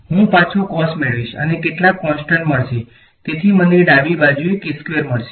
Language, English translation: Gujarati, I will get back cos right and some constants will come so I will get a k squared on the left hand side